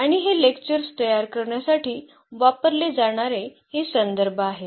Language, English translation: Marathi, And, these are the references used for this for preparing these lectures